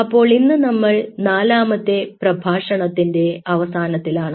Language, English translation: Malayalam, so today we end of the fourth lecture